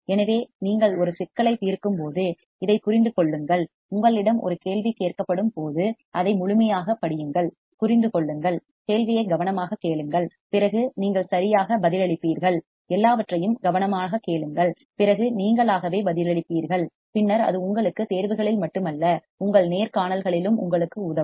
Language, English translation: Tamil, So, understand this when you are doing a problem, read it thoroughly when you are asked a question, understand, listen to the question carefully then you respond alright listen to everything carefully then only you respond, then it will help you not only in your exams that will help you also in your interviews